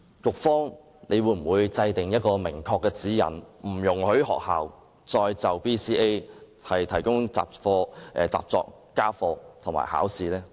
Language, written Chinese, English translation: Cantonese, 局方會否制訂明確的指引，不容許學校再就 BCA 提供習作、家課和考試呢？, My question is whether the Education Bureau can set out guidelines to clearly prohibit schools from giving their students exercises homework and examinations for the purpose of BCA?